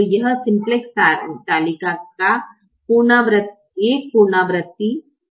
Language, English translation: Hindi, so this is one iteration of the simplex table